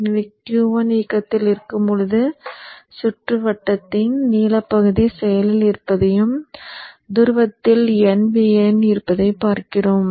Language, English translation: Tamil, So during the time when Q1 is on, we see that the blue portion of the circuit is active and at the pole you have n vn